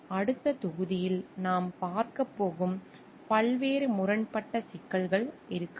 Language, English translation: Tamil, And there could be various conflicting issues related to that which we are going to see in the next module